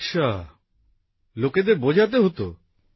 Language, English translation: Bengali, Okay…did you have to explain people